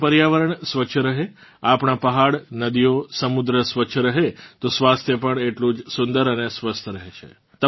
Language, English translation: Gujarati, If our environment is clean, our mountains and rivers, our seas remain clean; our health also gets better